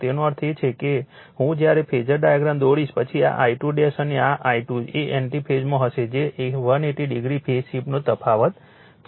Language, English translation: Gujarati, So that means, I when you will draw the phasor diagram then this I 2 dash and this I 2 will be in anti phase that is 180 degree difference of phaseshift